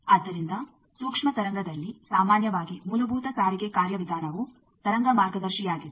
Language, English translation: Kannada, So, in microwave generally the fundamental transport mechanism is the wave guide